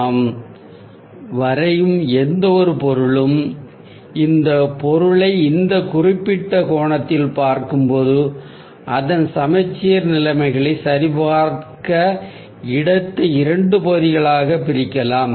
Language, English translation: Tamil, when we see this object from this particular angle, we can divide the space into two halves to check its symmetrical conditions